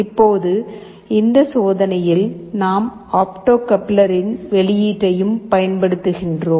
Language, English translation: Tamil, But in this experiment we are not using the opto coupler